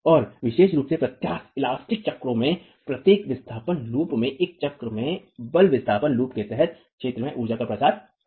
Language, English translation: Hindi, So, particularly in the inelastic cycles, in each force displacement loop in a cycle, the area under the force displacement loop is the energy dissipated